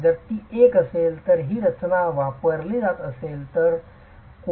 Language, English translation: Marathi, So, if it is a structure that is being used